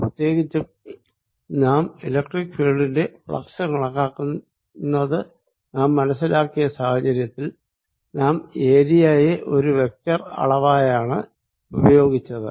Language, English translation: Malayalam, particularly when we saw that we are calculating flux of electric field, then we used surface area as a vector quantity